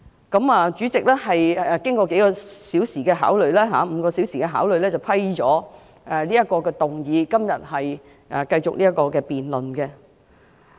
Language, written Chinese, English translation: Cantonese, 經過數小時——約5小時——的考慮後，主席批准局長提出議案，並在今天繼續就議案進行辯論。, After considering the request for several hours―around five hours―the President allowed the Secretary to move the motion and the debate on the motion continues today